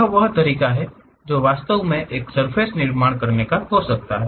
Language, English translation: Hindi, This is the way one can really construct a surface